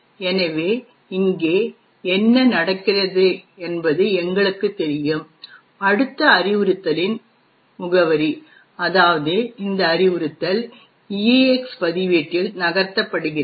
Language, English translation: Tamil, So, as we know what happens over here is the address of the next instruction that is this instruction gets moved into the EAX register